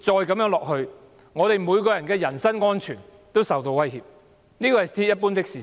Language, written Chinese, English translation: Cantonese, 繼續下去的話，所有人的人身安全皆會受威脅，這是鐵一般的事實。, If it persists the personal safety of everybody will come under threat . This is a hard fact